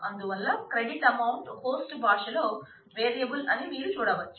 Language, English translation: Telugu, So, you can see that credit amount is a variable in the host language